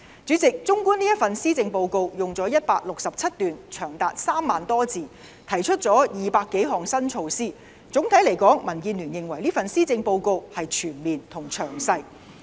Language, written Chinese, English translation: Cantonese, 主席，綜觀這份施政報告用了167段，長達3萬多字，提出了200多項新措施，總體來說，民建聯認為這份施政報告是全面和詳細。, President this Policy Address consisting of 167 paragraphs and more than 30 000 words has proposed more than 200 new measures . Overall speaking the Democratic Alliance for the Betterment and Progress of Hong Kong DAB considers the Policy Address a comprehensive and detailed one